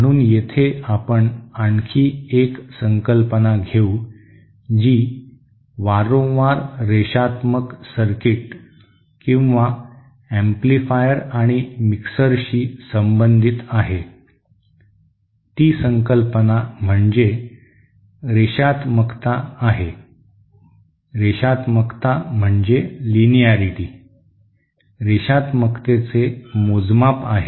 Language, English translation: Marathi, So here we will take yet another concept that is frequently associated with Linear Circuits or amplifiers and mixers which is the Linearity, the measure of Linearity